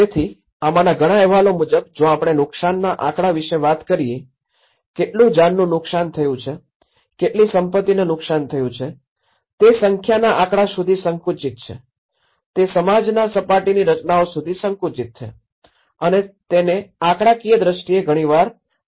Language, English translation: Gujarati, So, many of these reports whether we talk about the damage statistics, how much loss of life is damaged, how much property has been damaged, they are narrowed down to the numericals, they are narrowed down to the surface structures of the society and they are often reduced to the statistical terms